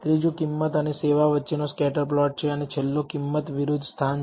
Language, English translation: Gujarati, The third one is the scatter plot between price and service and the last one is price versus location